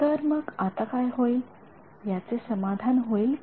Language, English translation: Marathi, So, what happens now, is it going to be satisfied